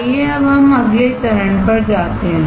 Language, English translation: Hindi, Let us now go to the next step